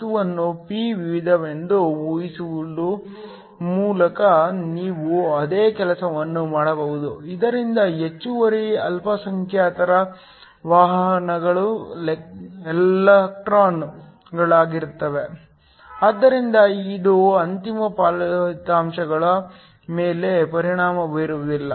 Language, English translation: Kannada, You can do the same thing by assuming the material to be a p type, so that the excess minorities carriers are electrons, but it will not affect the final results